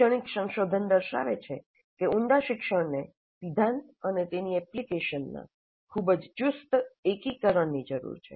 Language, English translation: Gujarati, And the educational research has shown that deep learning requires very tight integration of theory and its application